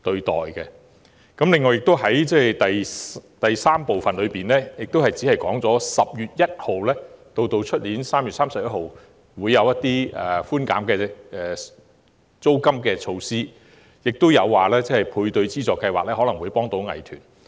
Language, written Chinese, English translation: Cantonese, 此外，局長在主體答覆第三部分提到，由今年10月1日至明年3月31日推行租金寬減措施，以及透過本年度配對資助計劃幫助藝團。, Furthermore the Secretary mentioned in part 3 of the main reply that the Government had implemented measure to reduce hire charges from 1 October 2019 to 31 March 2020 and would assist arts groups under this years Matching Grants Scheme